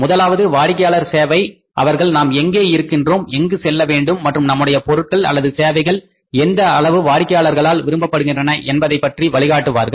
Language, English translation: Tamil, First is the customer service, they guide us that where we are and where we want to go and how far our product and services are liked by the customers